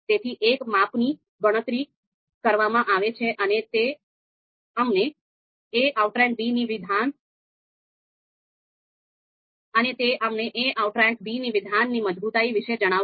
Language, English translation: Gujarati, So one measure is computed and this particular measure is going to tell us about the strength of the assertion a outranks b